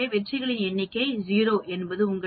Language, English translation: Tamil, So, number of successes 0 means it gives you 0